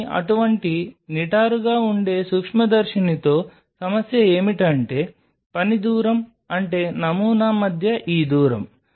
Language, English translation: Telugu, But the problem with such upright microscopes are the working distance means, this distance between the sample